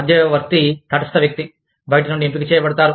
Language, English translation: Telugu, An arbitrator is a neutral person, selected from outside